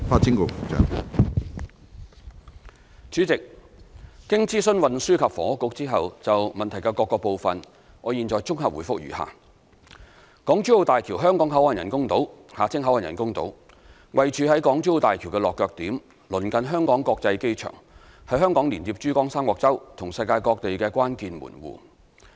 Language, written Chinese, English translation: Cantonese, 主席，經諮詢運輸及房屋局後，就質詢的各部分，我現綜合答覆如下：港珠澳大橋香港口岸人工島位處於港珠澳大橋的落腳點，鄰近香港國際機場，是香港連接珠江三角洲及世界各地的關鍵門戶。, President after consulting the Transport and Housing Bureau my reply to various parts of the question is as follows The Hong Kong Boundary Crossing Facilities Island of Hong Kong - Zhuhai - Macao Bridge BCF Island is located at the landing point of the Hong Kong - Zhuhai - Macao Bridge HZMB . It is close to the Hong Kong International Airport and is a key gateway for Hong Kong to connect the Pearl River Delta and the rest of the world